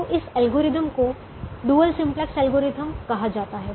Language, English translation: Hindi, so this algorithm is called the dual simplex algorithm